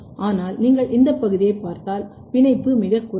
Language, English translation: Tamil, But if you look this region the binding is very very low